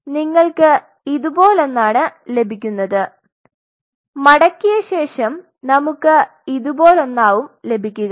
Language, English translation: Malayalam, So, what you get something like this then right after folding we will be getting something like this